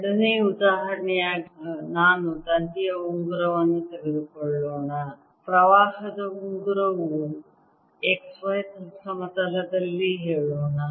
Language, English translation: Kannada, as a second example, let me take a ring of wire, ring of current, let's say in the x, y plane